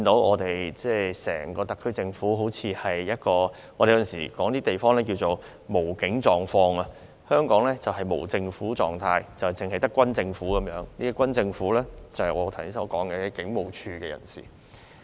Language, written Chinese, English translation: Cantonese, 我們有時候會說一些地方正處於"無警狀況"，而香港就是處於"無政府狀態"，是只有軍政府的，而所謂軍政府，就是指我剛才提到的警務處人士。, We may sometimes say that a place is in a policeless state . But Hong Kong is now in anarchy with nothing but a military government . And the so - called military government refers to the people in the Police Force that I mentioned earlier